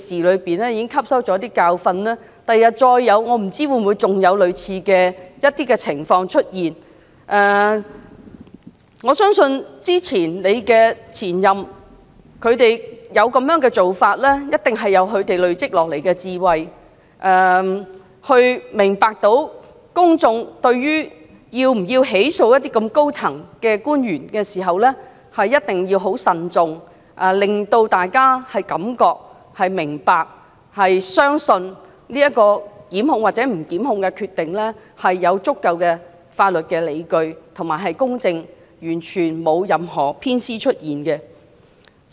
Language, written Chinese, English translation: Cantonese, 我不知道日後會否再有類似的情況出現。我相信數位前任律政司司長之所以會有這種做法，必是基於一些前人累積下來的智慧，明白到就是否起訴某些高層官員時，必須慎重行事，考慮公眾的觀感，令大家信服其所作出檢控與否的決定，是公正及有足夠的法律理據支持，完全沒有任何偏袒。, I cannot tell whether a similar situation will arise in the future but I do trust that the practice of seeking independent external legal advice by the several former Secretaries for Justice is based on their accumulated wisdom for they were aware of the need to exercise prudence in prosecuting certain senior officials while taking into account the publics perception in order to convince members of the public that DoJs decision on instituting prosecution or otherwise is fair adequately supported by the law and utterly impartial